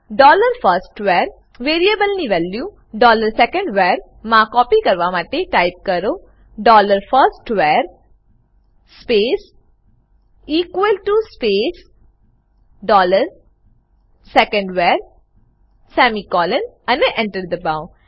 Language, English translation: Gujarati, To copy the value of variable dollar firstVar to dollar secondVar, type dollar firstVar space equal to space dollar secondVar semicolon and press Enter